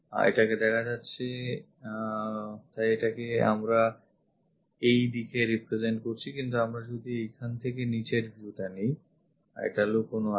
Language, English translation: Bengali, This one is a visible one so, we are representing it in that way, but if we are picking bottom view from here, this is hidden